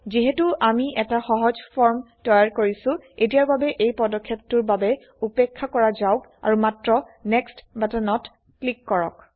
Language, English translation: Assamese, Since we are creating a simple form, let us skip this step for now and simply click on the Next button